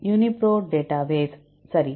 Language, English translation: Tamil, UniProt database, right